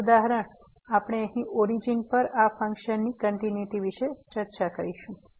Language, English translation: Gujarati, The last example, we will discuss here the continuity of this function at origin